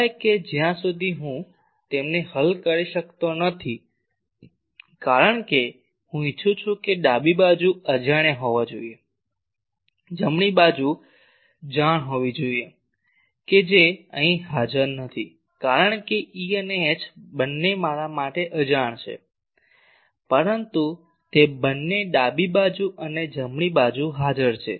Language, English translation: Gujarati, Unless and until I cannot solve them because, I want that the left side should be unknowns, right side should be known that is not here present because both E and H they are unknown to me, but they are present both in the left hand side and right hand side